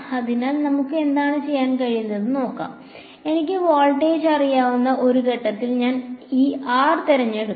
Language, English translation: Malayalam, So, let us what we can do is we can choose this r to be at a point where I know the voltage